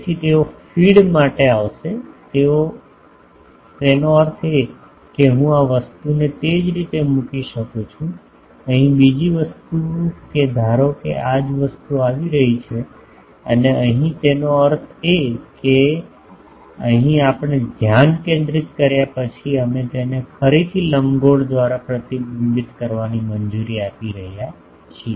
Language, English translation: Gujarati, So, they will come to feed now by that also; that means, I can put it the this thing similarly, the other thing here that this is a suppose a same thing is coming and here; that means, here we after getting focused we are allowing it to get again reflected by the ellipsoid